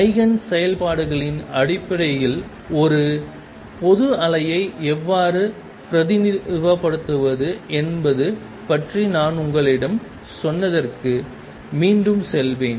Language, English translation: Tamil, Again I will go back to what I told you about how to represent a general wave in terms of eigen functions